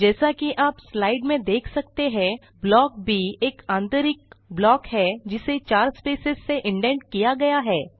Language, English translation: Hindi, As you can see in the slide, Block B is an inner block, indented by 4 spaces